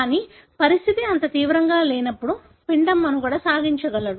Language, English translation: Telugu, But, when the condition is not so severe, then the embryo can survive